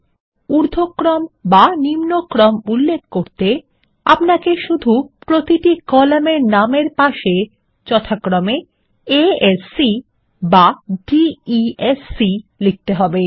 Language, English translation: Bengali, And to specify the ascending or descending order, we can simply type A S C or D E S C next to each column name